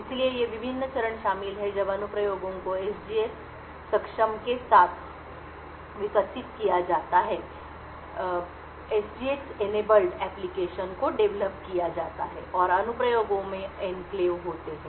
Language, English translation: Hindi, So, these are the various steps involved when applications are developed with SGX enabled and the applications have enclaves